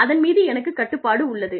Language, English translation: Tamil, I have control over it